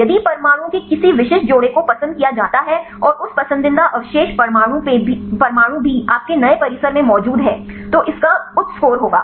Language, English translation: Hindi, If any specific pairs of atoms they are preferred and that preferred residue atoms are also present in your new complex, then it will have high score